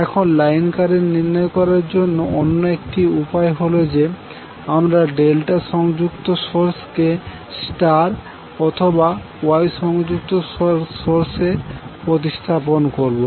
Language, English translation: Bengali, Now another way to obtain the line current is that you replace the delta connected source into its equivalent star connected or Y connected source